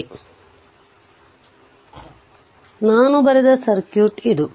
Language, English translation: Kannada, So so this is the circuit I have drawn